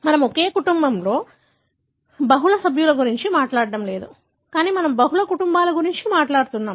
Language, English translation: Telugu, We are not talking about multiple members in a family, but we are talking aboutmultiple families